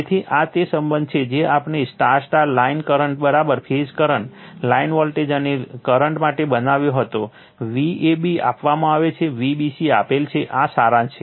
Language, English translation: Gujarati, So, this is the relationship whatever we had made for star star line current is equal to phase current, line voltage and current, V a b is given V b c is given this is the summary sorry